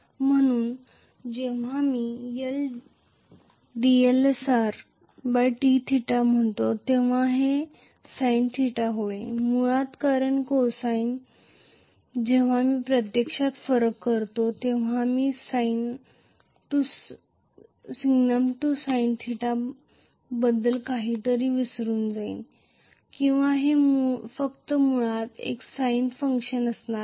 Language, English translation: Marathi, So,when I say d Lsr by d theta this will become sine theta basically because cosine when I actually differentiate I am going to get a sine forget about the sign minus sin theta or something just this is going to be a sine function basically